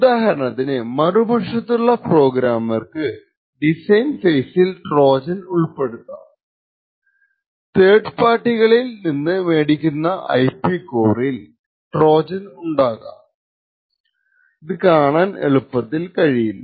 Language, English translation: Malayalam, For example, a programmer who is an adversary can insert a Trojan during the design phase or IP cores that are brought from third parties may also have in them certain Trojans which are not easily detectable